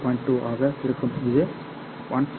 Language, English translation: Tamil, 2, which is about 100 kilometer